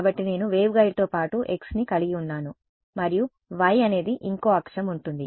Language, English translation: Telugu, So, I have x is along the waveguide and then y is the other axis right